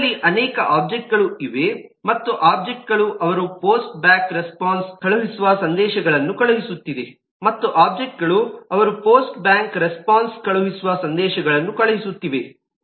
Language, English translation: Kannada, we have multiple objects and the objects are sending messages, they are sending post back response and so on